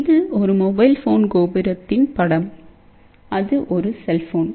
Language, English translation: Tamil, This is a picture of a mobile phone tower and that is a cell phone